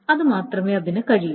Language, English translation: Malayalam, Because that is the only way it can do